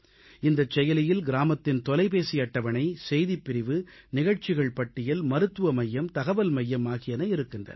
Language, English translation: Tamil, This App contains phone directory, News section, events list, health centre and information centre of the village